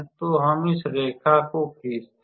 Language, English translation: Hindi, So, let us draw that line